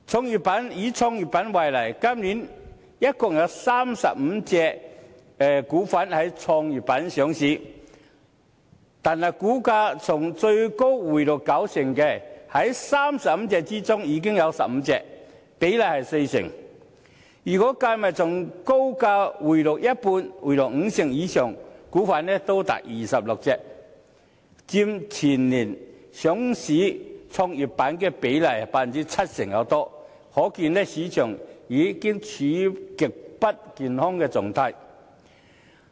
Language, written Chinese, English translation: Cantonese, 又以創業板為例，今年共有35隻股份在創業板上市，但股價從最高回落九成的，在35隻中已有15隻，比例是四成，如果從高價回落五成以上的股份亦計算在內，便多達26隻，佔全年上市創業板比例逾七成，可見市場已經處於極不健康的狀態。, There have been totally 35 new listings on GEM so far this year but 15 or 40 % of these 35 new listings saw a plunge of 90 % from their respective peak prices . If those new listings with a plunge of 50 % or more from their peak prices are also counted the number will be as large as 26 representing over 70 % of the new listings on GEM so far this year . This can show that the market has been in a very unhealthy state